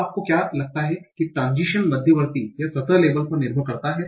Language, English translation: Hindi, Now what do you think the transition depends on from intermediate to surface label